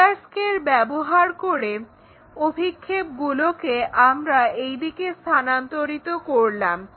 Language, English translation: Bengali, So, use our roller scale to transfer projection in that way